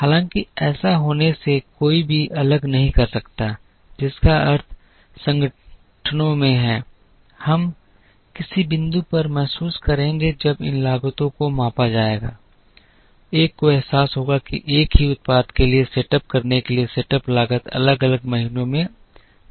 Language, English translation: Hindi, Though one cannot exclude this from happening which means in organizations, we will realize at some point when these costs are measured, one would realize that to setup for the same product the setup cost can vary in different months